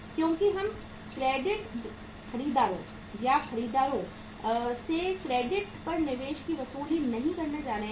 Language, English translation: Hindi, Because we are not going to recover the investment from the credit buyers or buyers on credit